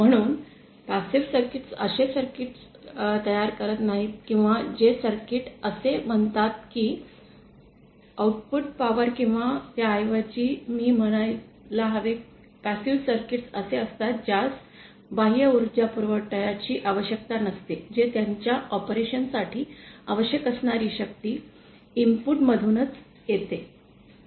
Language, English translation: Marathi, So, passive circuits are one which do not produce or circuits where the output power or rather I should say passive circuits are the ones which do not require external power supply whatever power they need for their operation come from the input itself